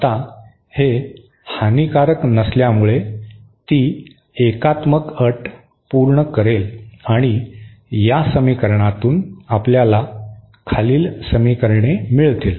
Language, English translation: Marathi, Now since it is lossless, it should satisfy the unitary condition and from this equation we get the following equations